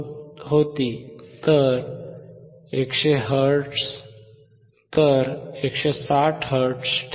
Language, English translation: Marathi, 15 hertz, 160 hertz